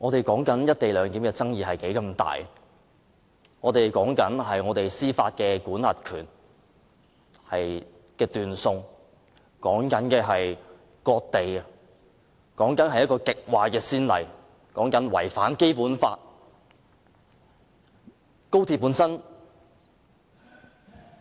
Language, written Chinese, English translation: Cantonese, 不過，"一地兩檢"有重大爭議，關乎香港司法管轄權的斷送，關乎割地，這是一個極壞的先例，違反《基本法》。, Nevertheless there are great controversies involved in the co - location arrangement such as giving up Hong Kongs jurisdiction and giving away part of our territory . It will set a very bad precedent that violates the Basic Law